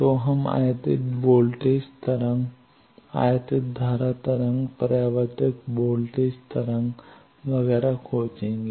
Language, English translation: Hindi, So, we will have to find the incident voltage wave, incident current wave, reflected voltage wave, etcetera